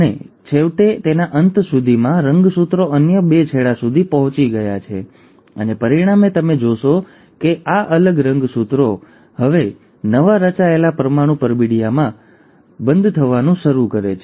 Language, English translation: Gujarati, And then finally, by the end of it, the chromosomes have reached the other two ends and as a result, you find that these separated chromosomes now start getting enclosed in the newly formed nuclear envelope